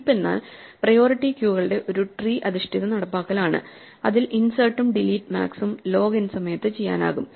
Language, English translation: Malayalam, To summarize heaps are a tree based implementation of priority queues in which both insert and delete max can be done in log n time